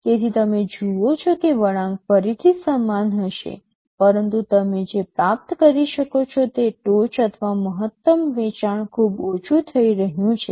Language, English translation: Gujarati, So, you see the curve will be similar again, but the peak or the maximum sale can that you can achieve is becoming much less